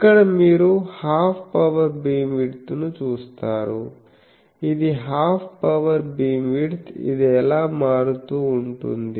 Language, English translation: Telugu, So, here you will see that half power beam width, this is the half power beam width, how it is varying